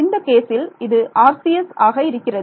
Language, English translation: Tamil, So, in this case it will be RCS rights